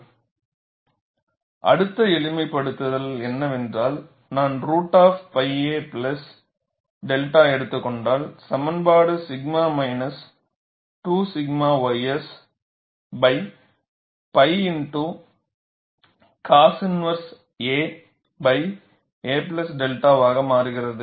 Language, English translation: Tamil, So, the next simplification is, if I take out square root of pi a plus delta, the expression turns out to be sigma minus 2 sigma ys divided by pi multiplied by cos inverse a by a plus delta equal to 0